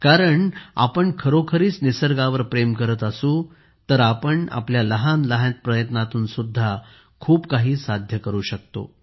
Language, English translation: Marathi, If we really love nature, we can do a lot even with our small efforts